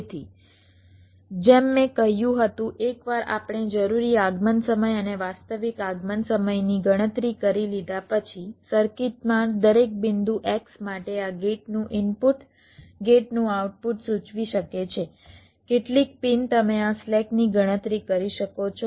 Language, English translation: Gujarati, ok, so as i had said, once we have calculated the required arrival time and the actual arrival times for every point x in the circuit, this may denote the input, a gate, the output of a gate, some pins